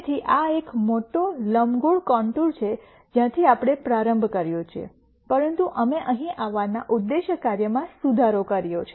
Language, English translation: Gujarati, So, this is a big elliptical contour from where we started, but we have improved the objective function to come here